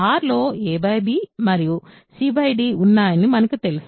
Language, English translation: Telugu, We know a by b and c by d in R